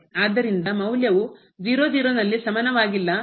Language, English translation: Kannada, So, the value was not equal at 0 0